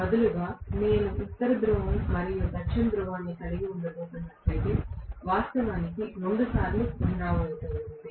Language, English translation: Telugu, Instead, if I am going to have a North Pole and South Pole, actually repeating itself twice